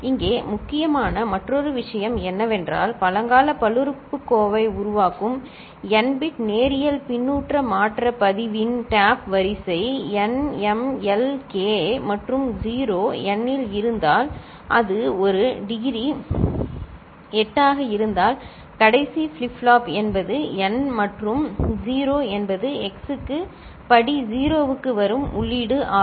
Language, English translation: Tamil, The other thing important here is if the tap sequence of n bit linear feedback shift register generating primitive polynomial is in n, m, l, k and 0 n means that if it is a degree 8, the last flip flop, so that is n and 0 is the input that is coming here to x to the power 0